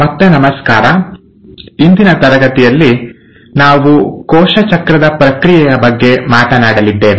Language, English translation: Kannada, So hello again and in today’s class we are going to talk about the process of cell cycle